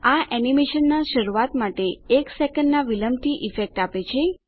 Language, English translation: Gujarati, This has the effect of starting the animation after one second